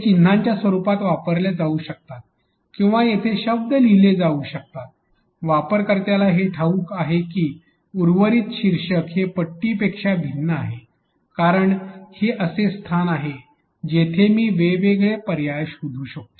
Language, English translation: Marathi, Those could be given in use in types of icons or could be words written there, but the user knows that this is different than the rest of the title bar because this is place where I can look for options